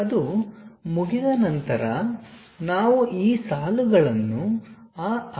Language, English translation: Kannada, Once it is done, we finish this lines remove that rectangle